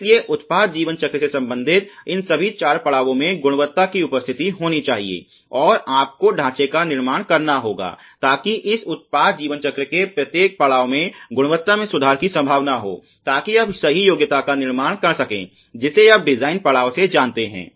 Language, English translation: Hindi, So, there has to be a presence of quality in all these four stages related to the product life cycle, and you have to build frame work, so that there is possibility of improvement quality wise at every stage of this product life cycle, so that you can build the right qual you know at the design stage